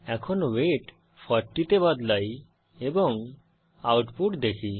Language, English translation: Bengali, Now let us change the weight to 40 and see the output